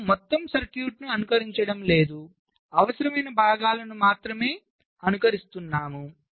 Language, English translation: Telugu, right, so you are not simulating the whole circuit, but we are simulating only those parts which are required